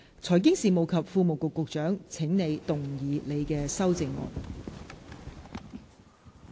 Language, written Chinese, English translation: Cantonese, 財經事務及庫務局局長，請動議你的修正案。, Secretary for Financial Services and the Treasury you may move your amendments